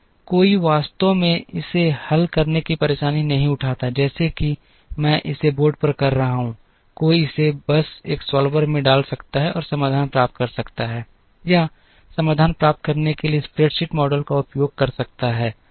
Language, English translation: Hindi, One does not take the trouble of actually solving it like I am doing it on the board, one could simply put it into a solver and get the solution or use a spread sheet model to try and get the solution